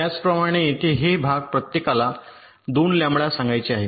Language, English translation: Marathi, similarly, here these parts are all, let say, two lambda each